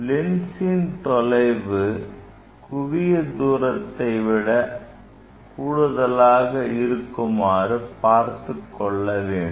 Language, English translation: Tamil, I must keep this lens position greater than focal length